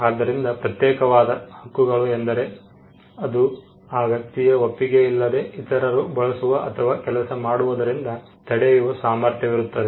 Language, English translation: Kannada, So, exclusive rights are rights which confer the ability on a person to stop others from doing things without his consent